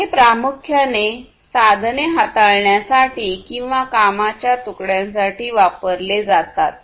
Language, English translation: Marathi, And these are primarily used for manipulating tools and work pieces